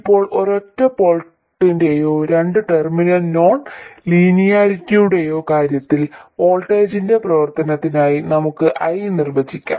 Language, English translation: Malayalam, Now, in case of a single port or a two terminal non linearity, we could define I as a function of voltage